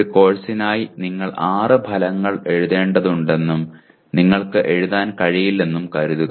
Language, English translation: Malayalam, Let us say you are required to write six outcomes for a course and you are not able to write